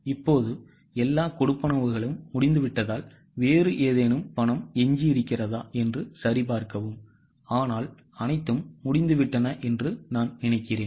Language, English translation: Tamil, Now, since all payments are over, check whether any other payment is left but I think all are done